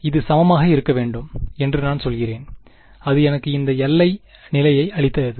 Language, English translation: Tamil, And I say that it should be equal and that gave me this boundary condition